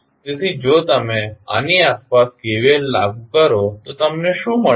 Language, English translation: Gujarati, So, if you apply KVL around this, what you get